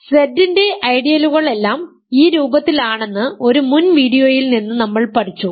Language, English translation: Malayalam, So, now, we learned in an earlier video that recall from before that ideals of Z are of the form